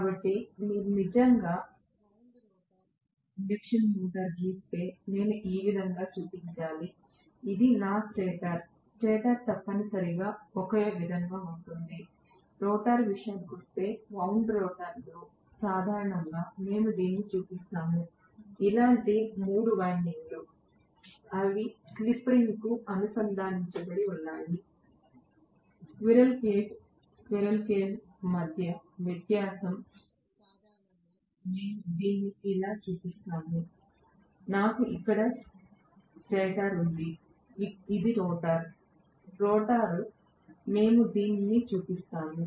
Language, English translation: Telugu, So we are actually looking at if you actually draw the wound rotor induction motor I should show somewhat like this, this is my stator, stator is essentially the same, so as far as the rotor is concerned, in wound rotor normally we show it with three windings like this, they are connected to the slip ring, the difference between squirrel cage, squirrel cage normally we show it like this, I have the stator here, this is the rotor, rotor we show it this